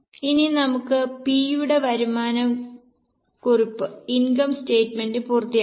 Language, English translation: Malayalam, Now let us complete the income statement for P